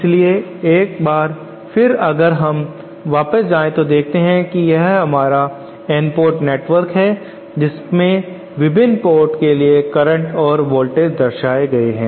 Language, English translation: Hindi, So once again if we can go back to the slide this is our N port network with currents and voltages for the various ports as shown